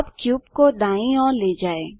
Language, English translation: Hindi, Now lets move the cube to the right